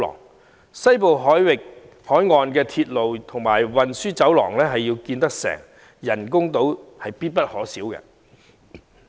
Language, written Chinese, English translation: Cantonese, 如要落實興建西部海岸鐵路和運輸走廊，人工島必不可少。, The creation of artificial islands is indispensable to implementing the construction of the Western Coastal Rail Link and Corridor